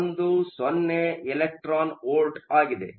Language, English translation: Kannada, 10 electron volts